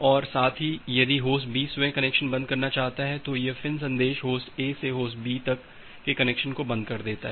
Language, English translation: Hindi, And at the same time it Host B wants to close the connection itself, so this FIN message from Host A to Host B it is closing the connection from A to B